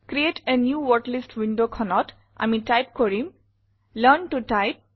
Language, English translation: Assamese, In the Create a New Wordlist window, let us type Learn to Type